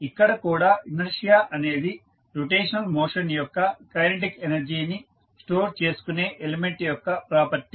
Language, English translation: Telugu, So, here also the inertia is the property of element which stores the kinetic energy of rotational motion